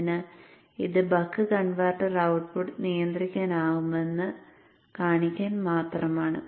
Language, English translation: Malayalam, So this is just to show that the buck converter output can be regulated